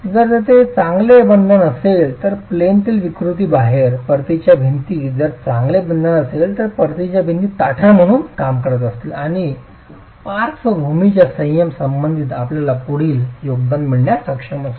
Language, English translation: Marathi, If there is good bonding, then the out of plane deformations, the wall with its return walls, if there is good bonding, then the return walls are going to be acting as stiffeners and you would be able to get a further contribution as far as lateral restraint is concerned